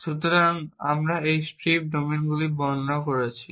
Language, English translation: Bengali, So, we had describing strips domains now